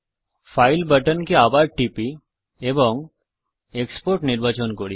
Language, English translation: Bengali, Let us click the file button once again and choose export